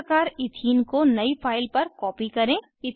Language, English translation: Hindi, Likewise copy Ethene into a new file